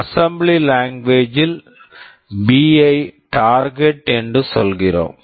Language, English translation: Tamil, In assembly language we just say B Target